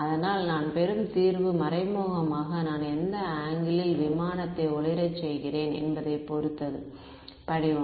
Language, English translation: Tamil, So, implicitly the solution that I get depends on how which angle I am illuminating the aircraft form right